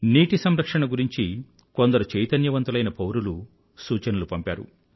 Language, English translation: Telugu, Quite a few active citizens have sent in suggestions on the subject of water conservation